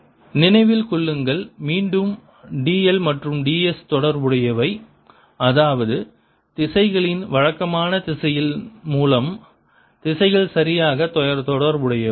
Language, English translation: Tamil, remember again, d l and d s are related, such that the directions are properly related through the conventional l sense of direction